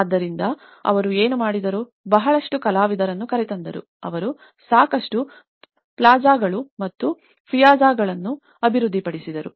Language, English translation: Kannada, So, what they did was, they brought a lot of artists, they develops lot of plazas and the piazzas